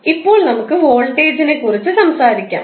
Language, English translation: Malayalam, Now, let us talk about voltage